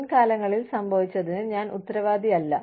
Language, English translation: Malayalam, I am not responsible for, what happened in the past